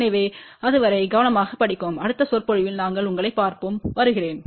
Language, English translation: Tamil, So, till then steady hard and we will see you in the next lecture